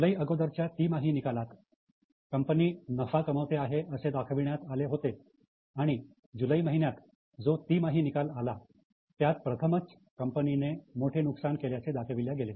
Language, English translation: Marathi, Now, till their earlier quarter, it was a profit making, but the July quarter was the first time they reported a huge loss